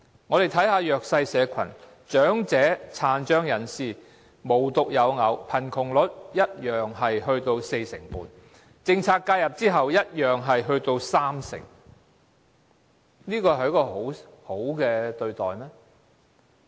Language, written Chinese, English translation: Cantonese, 我們看看弱勢社群，長者和殘障人士無獨有偶，貧窮率一樣達至四成半，政策介入後仍達三成，這是好的對待嗎？, It happens that the poverty rates of the disadvantaged the elderly and the disabled were also 45 % and were still as high as 30 % after policy intervention . Is the Government treating them well?